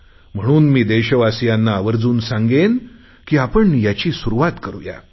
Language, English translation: Marathi, So I appeal to my countrymen, that we should at least make a beginning